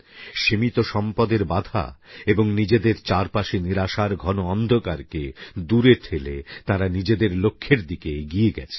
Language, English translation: Bengali, They have overcome limitations of resources and a terrible atmosphere of despair around them and forged ahead